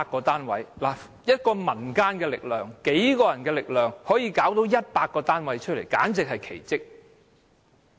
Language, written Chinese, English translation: Cantonese, 單憑民間數人之力，可以找到100個單位，簡直是奇蹟。, It is a miracle for a handful of people in the community to secure 100 flats